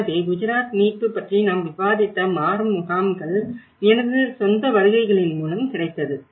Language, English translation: Tamil, So, when we talk about the transition shelters we did discussed about the Gujarat recovery, this is own, my own visits during that time